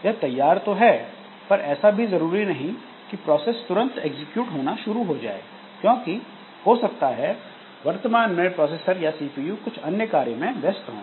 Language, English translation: Hindi, Now as soon as it is ready, so it is not required that the process will start executing because at present the processor or the CPU that we have so that may be busy doing something else